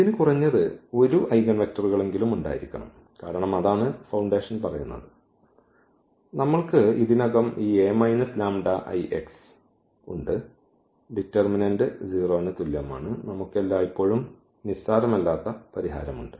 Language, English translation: Malayalam, And it had it just must to have at least 1 eigenvectors because that is what the foundation says so, we have already this a minus lambda I and the determinant is equal to 0 we have non trivial solution always